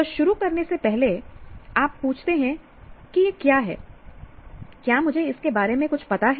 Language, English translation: Hindi, So before you even start, you ask what is this about, do I know something about it